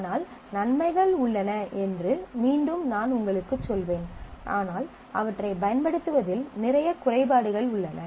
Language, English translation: Tamil, But again I would tell you that there are benefits, but there are lot of drawbacks in using them